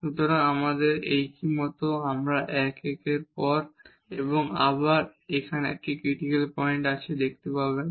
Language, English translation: Bengali, So, we can see like this one this one this one this one and again here there is a critical point